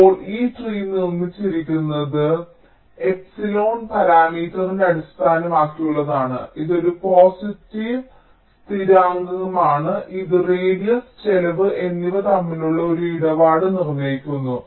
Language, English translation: Malayalam, now the way this tree is constructed is based on parameter epsilon, which is a positive constant which determines some kind of a tradeoff between radius and cost